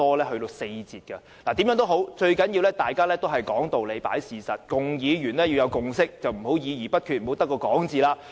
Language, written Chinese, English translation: Cantonese, 無論如何，最重要的是講道理和事實，議員必須取得共識，不要議而不決，空口說白話。, No matter what it is most important to engage in discussion based on reasons and facts and Members should reach a consensus and avoid being indecisive or engaging in empty talks